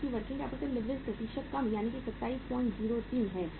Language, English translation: Hindi, Because working capital leverage percentage is low that is 27